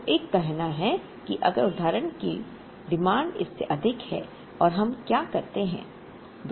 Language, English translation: Hindi, So, one is to say that, if the demand for example exceeds this, what do we do